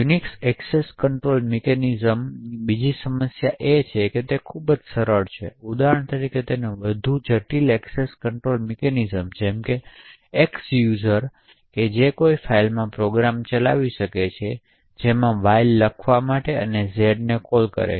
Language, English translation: Gujarati, Another problem with Unix access control mechanisms is that it is highly coarse grained, so for example more intricate access control mechanisms such as X user can run programs Y to write to files Z is not very easily specified in this Unix access control mechanisms